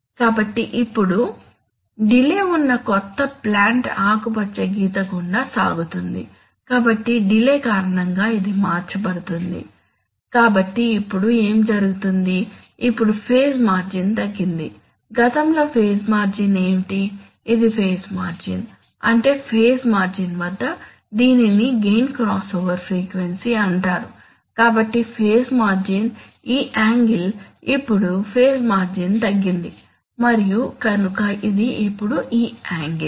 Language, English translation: Telugu, So now the new plant with delay flows through the green line, so it has got shifted because of the delay, so now what happens, so now your, now the phase margin has reduced, previously what the phase margin, this was the phase margin, that is the phase at the, this is called the gain crossover frequency, so the phase margin was this angle, now the phase margin is reduced and it is this angle, so it is this angle now